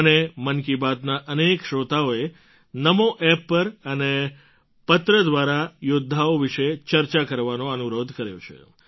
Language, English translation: Gujarati, Many listeners of Mann Ki Baat, on NamoApp and through letters, have urged me to touch upon these warriors